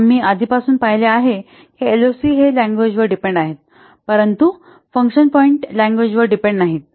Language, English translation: Marathi, We have a lot seen LOC is language dependent but function points are language independent